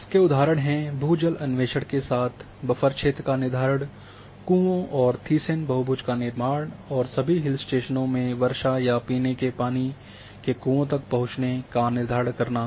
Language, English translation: Hindi, So, when you go for that like examples are determination of buffer zones along with groundwater exploration wells and construction of thiessen polygon and all along in this rainfall hill stations or determination of accessibility to drinking wells